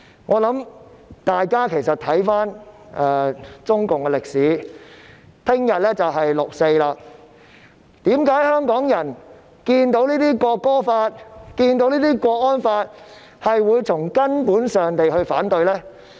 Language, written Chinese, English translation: Cantonese, 我想請大家看看中共的歷史，明天便是6月4日，香港人看到《條例草案》及港區國安法時，為何會從根本上反對呢？, I invite Members to look at the history of CPC . It will be 4 June tomorrow . Why would the people of Hong Kong oppose the Bill and the Hong Kong national security law fundamentally at the sight of them?